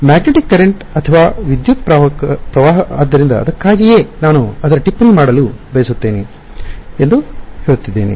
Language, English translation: Kannada, Magnetic current or electric current so that is why I am saying that that is I want to make a note of it